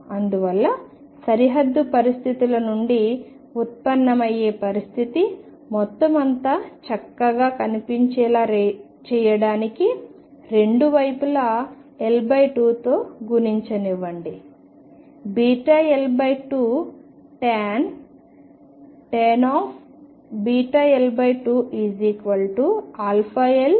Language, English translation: Telugu, Thus, the condition that arises from the boundary conditions; just to make the whole thing look nice let me multiply it by L by 2 on both sides beta L by 2 tangent of beta L by 2 is equal to alpha L by 2